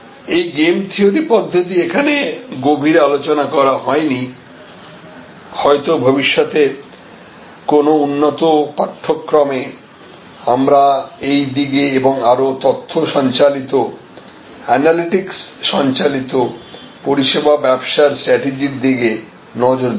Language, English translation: Bengali, This game theoretic approach was not discussed in depth, perhaps in a future advanced course, we will look at these and other more data driven, analytics driven service business strategies